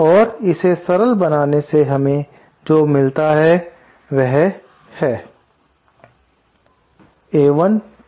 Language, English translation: Hindi, And simplifying this, what we get is